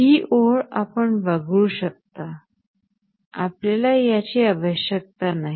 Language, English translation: Marathi, This line you can omit we do not need this